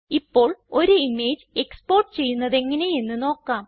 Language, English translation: Malayalam, Next, lets learn how to export an image